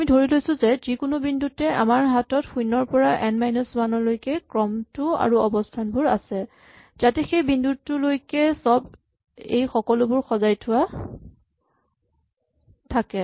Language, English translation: Assamese, So, what we will assume is that at any given point, we have our sequence from 0 to n minus 1 and there are some positions, so that up to this point everything is sorted